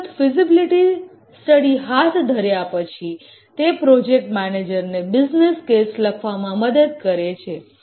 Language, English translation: Gujarati, The feasibility study once it is undertaken helps the manager to write the business case